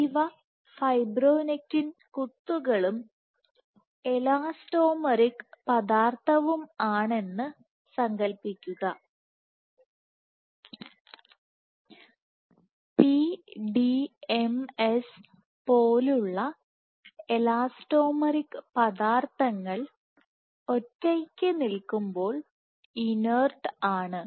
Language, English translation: Malayalam, So, imagine these are fibronectin dots and the elastomeric material, like let us say PDMS is by itself inert